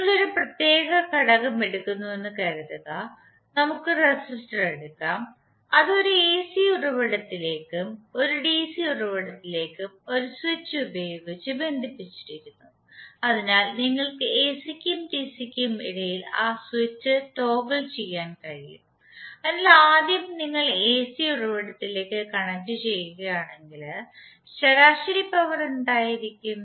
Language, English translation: Malayalam, So if you see this particular value is coming from particular AC source means, suppose if you take a particular element, say let’s take the resistor and it is connected to one AC source and one DC source with this which, so you can toggle that switch between AC and DC, so first if you’re connecting to AC source that means the switch is at this side means in that case what would be the average power